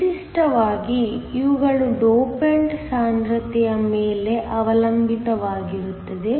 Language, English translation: Kannada, Typically, these will also depend upon the dopant concentration